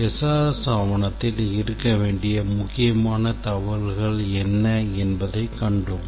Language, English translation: Tamil, We identified what are the important information that SRS document must have